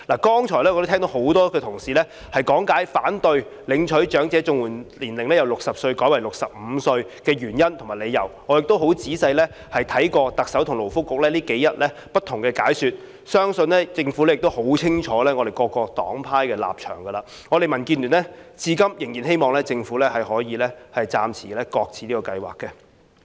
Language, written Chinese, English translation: Cantonese, 剛才我聽到很多同事講解了反對領取長者綜援年齡由60歲改為65歲的原因，我亦十分仔細看過特首和勞工及福利局近日不同的解說，相信政府亦已很清楚各黨派的立場，我們民建聯至今仍然希望政府能夠暫時擱置這計劃。, Just now I heard many Honourable colleagues explain their reasons for opposing the revision of the eligibility age for receiving elderly CSSA from 60 to 65 . I have also carefully looked into the different explanations made by the Chief Executive and the Labour and Welfare Bureau recently . I believe the Government is well aware of the stance of various political parties and groupings